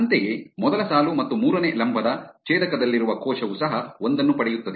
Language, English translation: Kannada, Similarly, the cell at the intersection of first row and third column also gets a 1